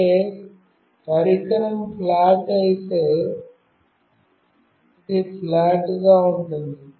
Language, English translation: Telugu, That means, if the device is flat, it will remain flat